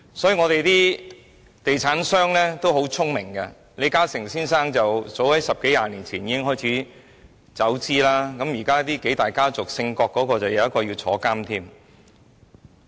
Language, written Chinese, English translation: Cantonese, 香港的地產商很聰明，李嘉誠先生早在十多二十年前已開始撤資，而在數大家族中，姓郭的那家有一位現正坐牢。, Hong Kong property developers are very smart . Mr LI Ka - shing started withdrawing investments as early as 10 - odd or 20 years ago . And among the several most powerful families in Hong Kong a big shot in the KWOK family is currently serving time in prison